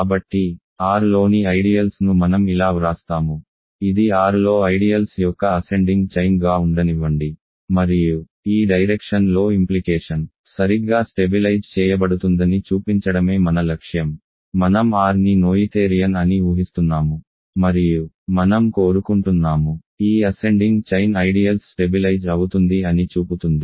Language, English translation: Telugu, So, let me write like this, ideals in R, let this be an ascending chain of ideals in R and our goal is to show that it stabilizes right that is the implication in this direction, I am assuming R is noetherian and I want to show that this ascending chain of ideals stabilizes